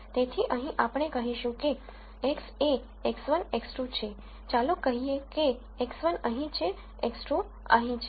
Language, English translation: Gujarati, So, here we would say X is x 1 x 2; two variables let us say x 1 is here x 2 is here